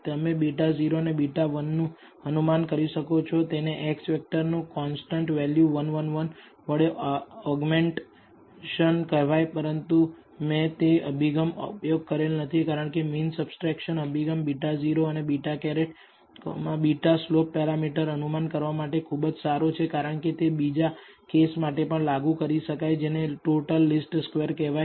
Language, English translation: Gujarati, You can also estimate beta naught and beta 1 by doing what is called augmentation of the X vector with a constant value 1 1 1 in the final thing, but I did not use that approach because the mean subtraction approach is a much better approach for estimating whether if for estimating beta naught and beta hat, beta slope parameters because this is applicable even to another case called the total least squares